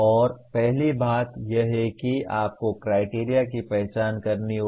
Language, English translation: Hindi, And first thing is you have to identify a criteria